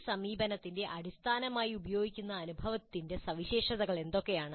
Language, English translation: Malayalam, What are the features of experience used as the basis of this approach